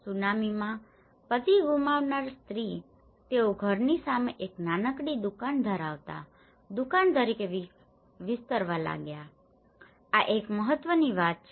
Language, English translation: Gujarati, Woman, who lost their husbands in the tsunami, they started expanding as a shop having a small shop in front of the house, this is one of the important thing